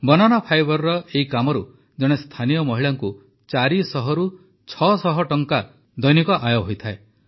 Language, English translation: Odia, Through this work of Banana fibre, a woman from the area earns four to six hundred rupees per day